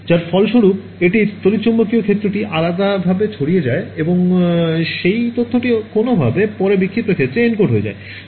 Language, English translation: Bengali, As a result of which its scatters the electromagnetic field differently and that information somehow gets then encoded into the scattered field